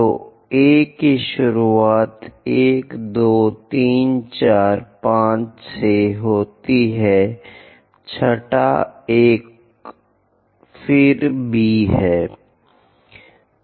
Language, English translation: Hindi, So, A begin with that 1, 2, 3, 4, 5; the sixth one is again B